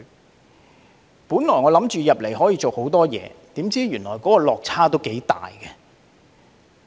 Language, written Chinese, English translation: Cantonese, 我原本以為進入議會可以做很多事，怎料原來落差也頗大。, At first I thought that I could do a lot of things after joining this Council and it turns out to be quite a different case